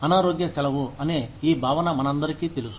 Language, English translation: Telugu, We are all aware of this concept of sick leave